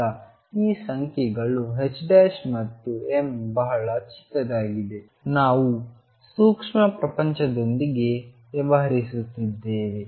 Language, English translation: Kannada, Now these numbers h cross and m are very small we are dealing with microscopic world